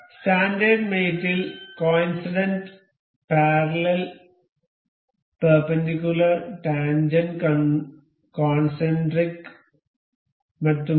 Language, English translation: Malayalam, So, in standard mates there are coincident parallel perpendicular tangent concentric and so on